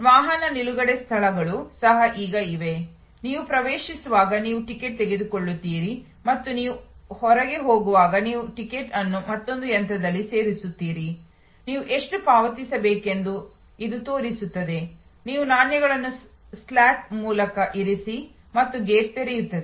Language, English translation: Kannada, Even parking lots are now, you actually as you enter you take a ticket and as you go out, you insert the ticket in another machine, it shows how much you have to pay, you put the coins through the slot and the gate opens